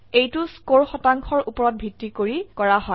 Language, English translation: Assamese, This is done based on the score percentage